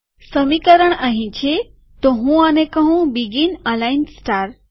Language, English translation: Gujarati, Here is the equation, so let me say begin align star